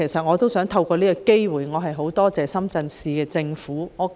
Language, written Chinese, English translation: Cantonese, 我亦想藉此機會感謝深圳市人民政府。, I would also like to take this opportunity to thank the Shenzhen Municipal Government